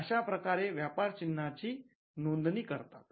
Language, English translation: Marathi, Now, who can apply for a trademark